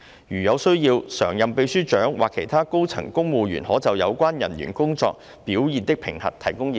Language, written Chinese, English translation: Cantonese, 如有需要，常任秘書長或其他高層公務員可就有關人員工作表現的評核，提供意見。, Where appropriate permanent secretaries or other senior civil servants may provide input on the performance appraisal of the civil servants concerned